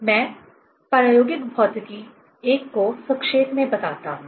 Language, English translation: Hindi, Let me summarize the experimental physics I